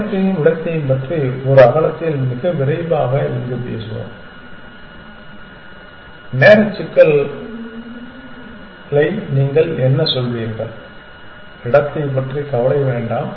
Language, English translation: Tamil, Let us talk about time and space in one breadth here very quickly what would you say time complexity, let us worry let us not worry about space